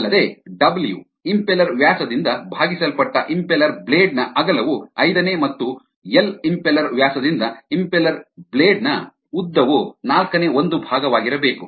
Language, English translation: Kannada, also, w, the width of the impeller blade divided by the impeller diameter should be one fifth, and l, the length of the impeller blade by the impeller diameter, should be one fourth